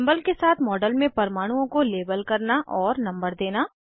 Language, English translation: Hindi, * Label atoms in a model with symbol and number